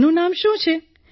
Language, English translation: Gujarati, What is its name